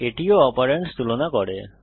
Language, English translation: Bengali, This too compares the operands